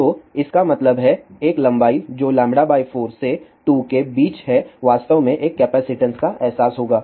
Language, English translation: Hindi, So that means, a length which is between lambda by 4 to lambda by 2 will actually realize a capacitance